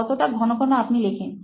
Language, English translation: Bengali, Just how frequently do you write